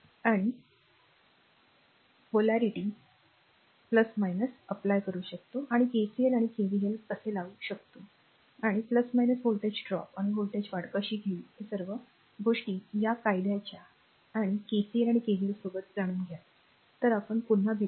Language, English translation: Marathi, And the all the up and your what you call that your polarity convention, and how to apply KCL and KVL , and the plus minus how will take voltage drop or voltage rise; all this things, and you know along with that ohms law and your KCL and KVL ah, and we will be back again